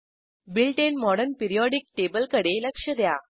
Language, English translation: Marathi, Observe the built in Modern periodic table